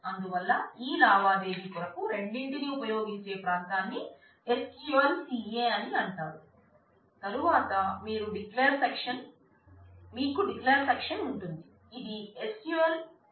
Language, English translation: Telugu, So, the area that is used by both for this transaction is known as SQLCA